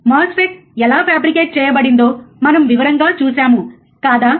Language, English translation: Telugu, We have also seen in detail how the MOSFET is fabricated, isn't it